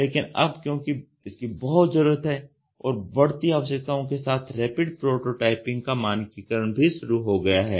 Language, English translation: Hindi, But now since there is lot of need and requirements have arised now standardization as of this Rapid Prototyping has also started